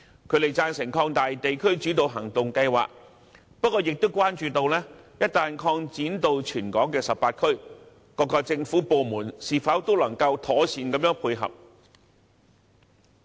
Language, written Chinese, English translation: Cantonese, 他們贊成擴大地區主導行動計劃，不過亦關注到，一旦擴展至全港18區，各政府部門是否都能夠妥善地配合。, They also support an extension of the District - led Actions Scheme but are concerned about whether there can be effective coordination among various government departments after its extension to all the 18 districts in the territory